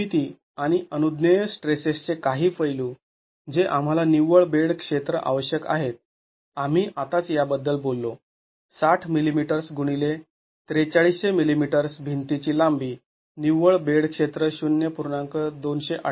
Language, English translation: Marathi, Some aspects of the geometry and permissible stresses that we will be requiring the net bedded area as we just talked about this 60 millimetres into the length of the wall 4,300 millimeters, the net bedded area is 0